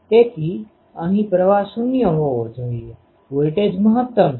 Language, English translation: Gujarati, So, here the current should be 0 the voltage is maximum